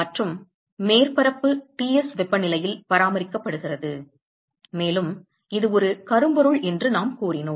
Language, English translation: Tamil, And the surface is maintained at temperature Ts, and we said that it is a blackbody